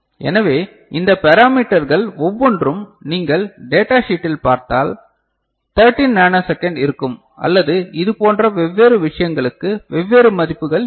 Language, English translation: Tamil, So, each of these parameters if you look at the data sheet will be around say 13 nanosecond or you know different values for different such things ok